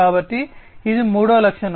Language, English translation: Telugu, So, this is the third feature